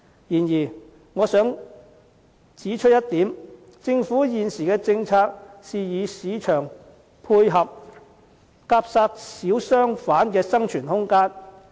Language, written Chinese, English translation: Cantonese, 然而，我想指出一點，政府現時的政策是與市場配合，夾殺小商販的生存空間。, However I have to point out that the existing policy adopted by the Government is one of collaboration with the market stifling the room of survival of small shop operators jointly